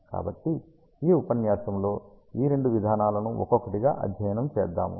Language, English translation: Telugu, So, we will study these two approaches one by one in this lecture